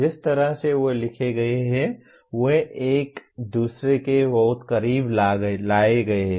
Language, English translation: Hindi, The way they are written they are brought very close to each other